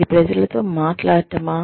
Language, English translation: Telugu, Is it talking to people